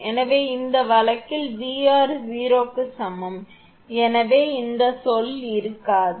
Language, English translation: Tamil, So, in this case v r is equal to 0, so this term will not be there